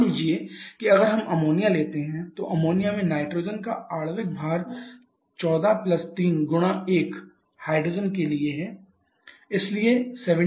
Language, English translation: Hindi, Like suppose if we take ammonia, ammonia is a molecular weight of nitrogen is 14 + 3 into 1 for hydrogen, so 17 then its name will be R717